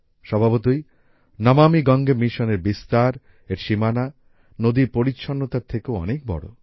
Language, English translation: Bengali, Obviously, the spread of the 'Namami Gange' mission, its scope, has increased much more than the cleaning of the river